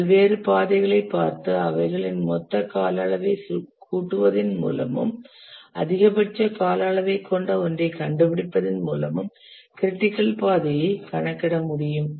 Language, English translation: Tamil, It will be possible to compute the critical path by computing by looking at various paths here, adding the total duration and finding the one which has the maximum duration